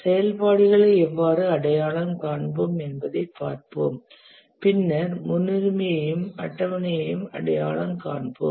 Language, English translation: Tamil, Let's look at how we do identify the activities and then we identify the precedents and schedule